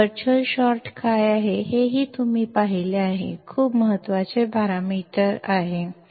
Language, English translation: Marathi, You have also seen what is virtual short; very important parameter virtual short